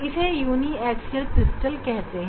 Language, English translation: Hindi, that is called uniaxial crystal